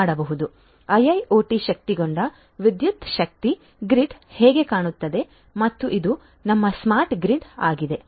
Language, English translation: Kannada, So, this is how a an IIoT enabled electrical power grid is going to look like and this is our smart grid